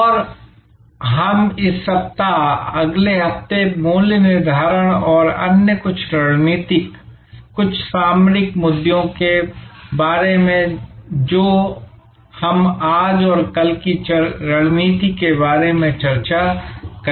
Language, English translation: Hindi, And we will discuss this week, next week about pricing and other somewhat strategic, somewhat tactical issues in the perspective of what we are going to discuss today and tomorrow about strategy